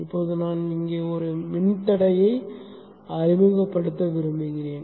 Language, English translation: Tamil, Now I would like to introduce an impedance here